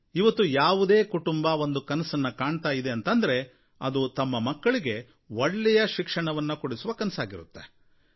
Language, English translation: Kannada, Today in every home, the first thing that the parents dream of is to give their children good education